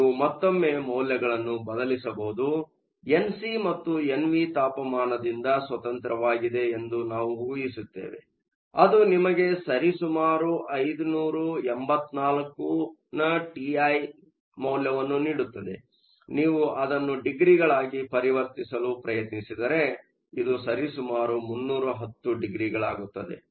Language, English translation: Kannada, You can substitute in the values once again, we will assume that N c and N v are independent of temperature that gives you T i of approximately 584 Kelvin; if you try to convert that into degrees, this is approximately 310 degrees